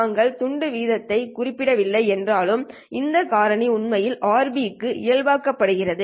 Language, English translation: Tamil, Although we don't specify the bit rate, this factor is actually normalized to RB